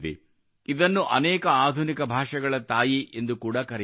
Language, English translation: Kannada, It is also called the mother of many modern languages